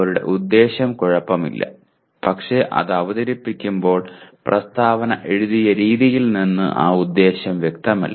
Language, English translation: Malayalam, Their intention is okay but when it is presented that intention is not very clearly is not clear from the way the statement is written